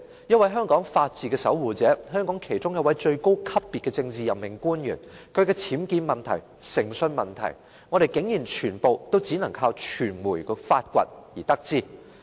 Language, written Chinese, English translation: Cantonese, 一位香港法治的守護者、香港其中一位最高級別的政治任命官員，其僭建問題、誠信問題，我們竟然只能依靠傳媒的發掘才能得知。, As for a defender of the rule of law in Hong Kong one of the highest - level politically - appointed officials of Hong Kong we can surprisingly only get to know the problems with her UBWs and integrity by relying on media investigations